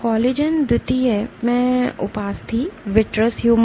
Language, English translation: Hindi, Collagen II cartilage, vitreous humor